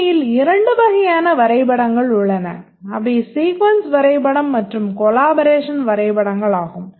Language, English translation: Tamil, There are actually two types of diagrams, the sequence diagram and the collaboration diagram